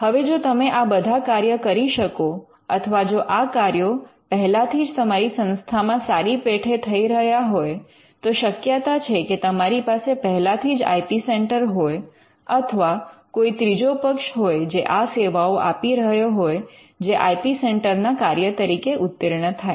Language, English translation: Gujarati, Now, if you can do all these functions or if all these functions are being done reasonably well in your institution then most likely you already have an IP centre or you have someone or some third party who is rendering these services which can qualify for the functions of an IP centre